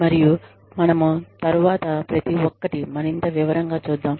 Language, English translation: Telugu, And, we will deal with, each of those later, in greater detail